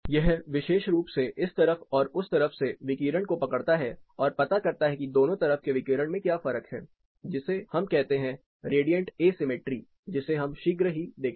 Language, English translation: Hindi, This particular one captures the radiation from this side and this side it determines, what is the radiant difference between these two radiant asymmetry we call we will look at this shortly